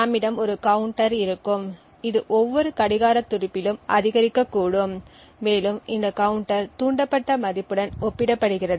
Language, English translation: Tamil, We would have a counter over here which possibly gets incremented at every clock pulse and furthermore this counter is compared with the triggered value